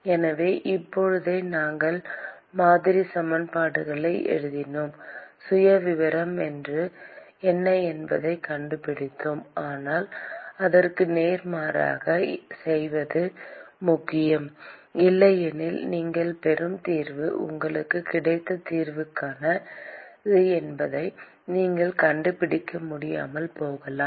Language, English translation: Tamil, So, right now, we wrote the model equations and we found out what the profile is, but it is also important to do vice versa, otherwise the solution that you get, you may not be able to figure out whether the solution you got is right or wrong